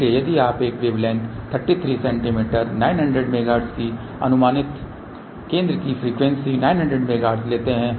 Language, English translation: Hindi, So, if you take a approximate the center frequency is 900 megahertz at 900 megahertz wave length is 33 centimeter